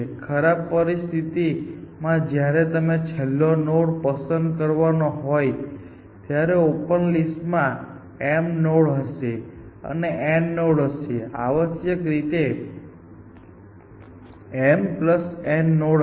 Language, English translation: Gujarati, In the worst case, when you are just about to pick the last node, open list would be m nodes there, and n nodes here essentially, m plus n essentially